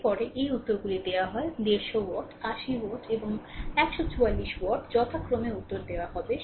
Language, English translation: Bengali, Next, these answers are given 150 watt; 80 watt; and 144 watt respectively answers are given